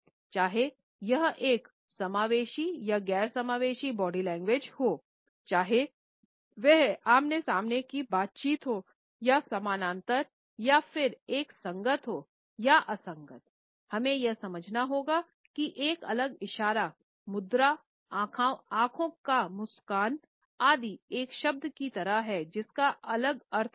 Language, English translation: Hindi, Whether it is an inclusive body language or non inclusive; whether it is a face to face interaction or parallel or whether it is congruent or incongruent, we have to understand that an isolated gesture, posture, eye smile etcetera is like a word which we have different meanings